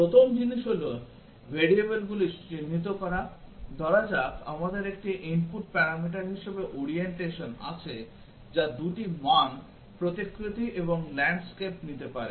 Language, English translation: Bengali, The first thing is to identify what are the variables, let us say we have orientation as 1 of the input parameter which can take 2 values portrait and landscape